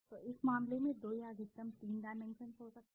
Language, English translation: Hindi, So in this case there could be 2 or maximum 3 dimensions